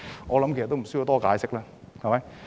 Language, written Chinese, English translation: Cantonese, 我相信也無需多解釋。, I believe there is no need to explain any further